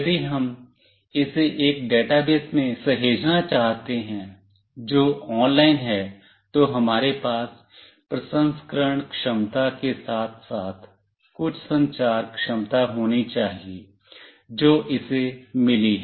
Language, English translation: Hindi, If we want to save that into a database which is online, we need to have some communication capability along with the processing capability that it has got